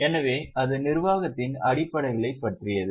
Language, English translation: Tamil, So that was about the basics of governance